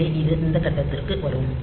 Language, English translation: Tamil, So, it will come to this point